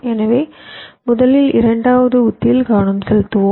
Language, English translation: Tamil, so let us concentrate on the second strategy first